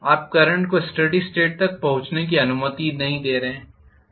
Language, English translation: Hindi, You are not allowing the current to reach the steady state